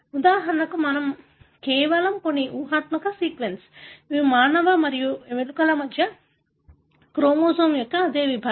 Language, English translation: Telugu, For example, we, I am just, some hypothetical sequence given for, this is a same segment of the chromosome between human and mouse